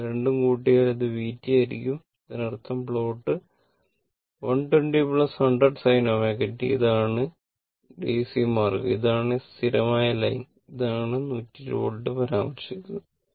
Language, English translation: Malayalam, This plot is this one and individually if you make it, this is 100 sin omega t and this is the DC means is the constant line this is 120 volt is mentioned